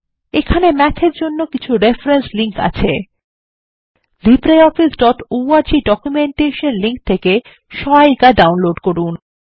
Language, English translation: Bengali, Here are some reference links for Math: Download guides at libreoffice.org documentation link